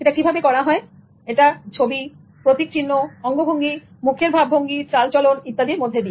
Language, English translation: Bengali, It's using images, symbols, signs, gestures, facial expressions, postures, etc